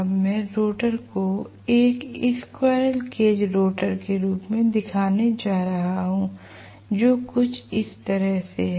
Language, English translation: Hindi, Now, I am going to show the rotor as a squirrel cage rotor which is somewhat like this